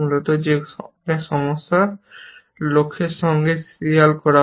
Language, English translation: Bengali, That in many problems, goals are not serialized with